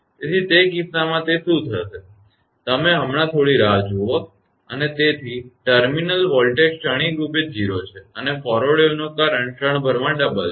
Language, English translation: Gujarati, So, in that case in that case what will happen that you are just hold on and, so the terminal voltage is momentarily 0 and the current of the forward wave right is momentarily double